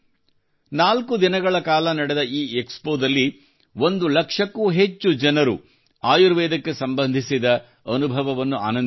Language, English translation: Kannada, In this expo which went on for four days, more than one lakh people enjoyed their experience related to Ayurveda